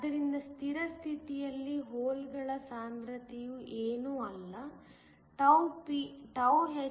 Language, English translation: Kannada, So, at Steady state the concentration of holes is nothing, a hGph